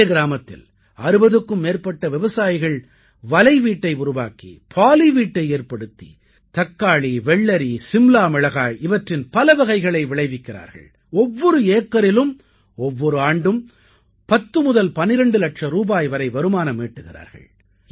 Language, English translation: Tamil, Not only this, more than 60 farmers of this village, through construction of net house and poly house are producing various varieties of tomato, cucumber and capsicum and earning from 10 to 12 lakh rupees per acre every year